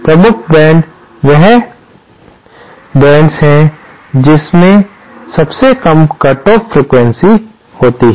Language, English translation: Hindi, Dominant mode is that mode which has the lowest cut off frequency